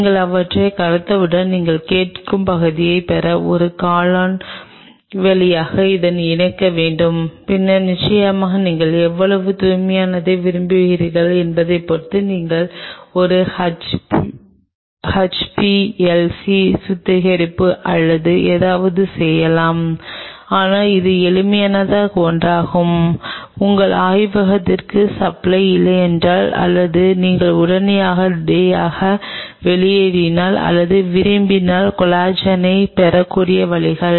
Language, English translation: Tamil, And once you dissolve them then you have to run it through a column to get the fraction you are asking for and then of course, you can do a HPLC purification or something depending on how pure you want it, but this is one of the simplest ways where you can obtain collagen if your lab does not have a supply or you are running out of it immediately or want